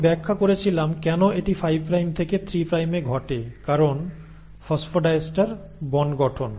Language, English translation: Bengali, And I had explained why it happens in 5 prime to 3 prime because of the phosphodiester bond formation